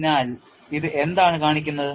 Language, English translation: Malayalam, So, what does this show